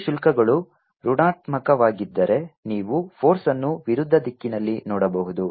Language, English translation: Kannada, if the two charges are negative, then you can see the force in the opposite direction